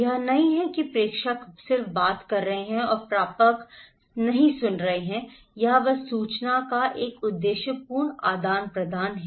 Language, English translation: Hindi, It’s not that senders is talking and receiver is not listening it is a purposeful exchange of information